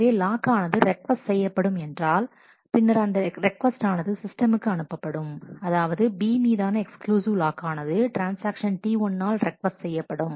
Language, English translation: Tamil, So, as the lock is requested then the request goes to the system that a exclusive lock on B is requested by transaction T 1